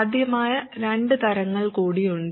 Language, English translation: Malayalam, There are two more varieties that are possible